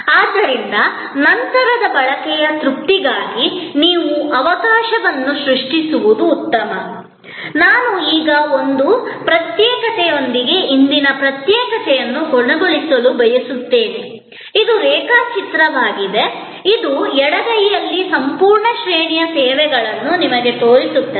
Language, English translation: Kannada, And therefore better you create a chance for post consumption satisfaction I would now like to end a today secession with an assignment, this is a diagram, which a shows to you a whole range of services on the left hand side